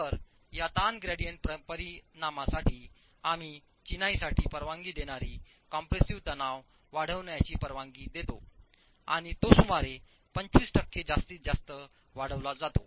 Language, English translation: Marathi, So, to account for this strain gradient effect, we allow for the masonry permissible compressive stress to be increased and it is increased to about 25% maximum